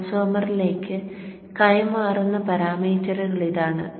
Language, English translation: Malayalam, So this is the parameters that is passed on to the transformer